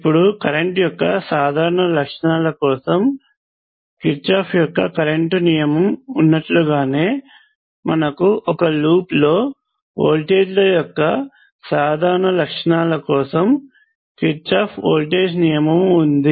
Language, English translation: Telugu, Now just like this Kirchhoff’s current law which is the general properties of currents, we have general properties of voltages around a loop and that is given by Kirchhoff’s voltage law